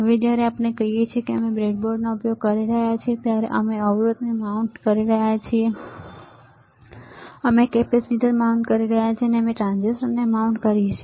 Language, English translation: Gujarati, Now, when we say that we are using the breadboard we are we are mounting the resisters, we are mounting the capacitors and we are mounting transistors